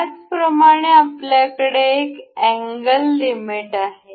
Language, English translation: Marathi, Similarly, we have angle limit as well